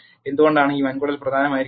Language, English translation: Malayalam, Why is this colon important